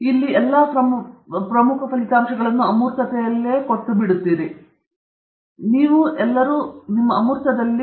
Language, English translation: Kannada, So, you give away all your important results here; you give it all away in your abstract